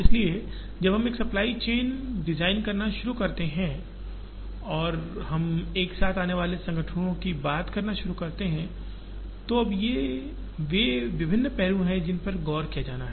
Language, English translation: Hindi, So, when we start designing a supply chain and we start talking of organizations coming together, now these are the various aspects that have to be looked at